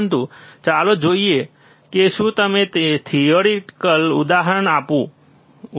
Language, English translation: Gujarati, But let us see, if I give you an example, if I give you an a example theoretical example